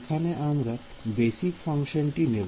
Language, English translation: Bengali, How do we choose these basis functions